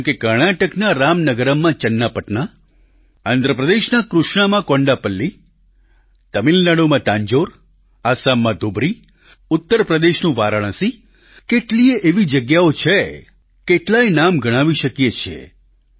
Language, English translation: Gujarati, Like, Channapatna in Ramnagaram in Karnataka, Kondaplli in Krishna in Andhra Pradesh, Thanjavur in Tamilnadu, Dhubari in Assam, Varanasi in Uttar Pradesh there are many such places, we can count many names